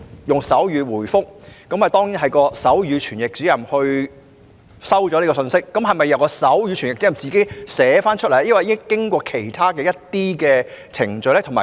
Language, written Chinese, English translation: Cantonese, 以手語回覆詢問，當然由手語傳譯員接收及傳譯信息，而手語傳譯員又會否自行將信息以文字記錄，還是要經過其他程序？, When replies to enquiries are given in sign language sign language interpreters will certainly receive and interpret the messages . However will sign language interpreters personally record the messages in writing or will other work procedures be involved?